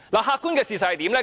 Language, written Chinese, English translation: Cantonese, 客觀的事實是怎樣呢？, What is the objective fact?